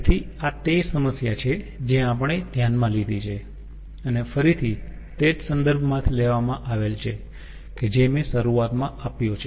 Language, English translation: Gujarati, so the this is the problem which we have taken and it is again taken from the ah same ah reference which i have given at the beginning